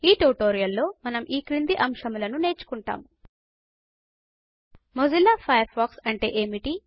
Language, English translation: Telugu, In this tutorial,we will cover the following topic: What is Mozilla Firefox